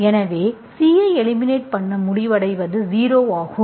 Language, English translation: Tamil, So you eliminated C, so what you end up with is 0